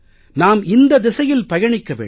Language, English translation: Tamil, We should move in this direction